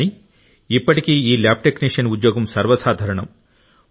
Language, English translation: Telugu, But still, this lab technician's job is one of the common professions